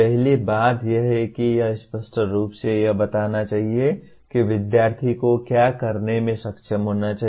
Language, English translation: Hindi, Should first thing is it should unambiguously state what the student should be able to do